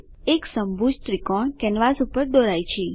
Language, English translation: Gujarati, An equilateral triangle is drawn on the canvas